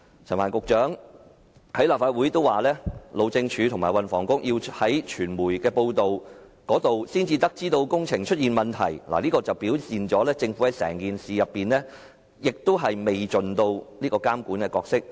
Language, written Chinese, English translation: Cantonese, 陳帆局長在立法會表示，路政署和運輸及房屋局要從傳媒報道才得悉工程出現問題，顯示政府在整件事件上未盡監管角色。, As indicated by Secretary Frank CHAN in the Legislative Council the Highways Department and the Transport and Housing Bureau only learnt about the problems concerning the project through media reports . This shows that the Government has failed to play a regulatory role in the entire incident